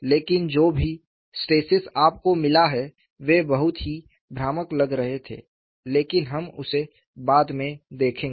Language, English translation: Hindi, But, whatever the stresses that you have got, they were looking very clumsy, but we will see later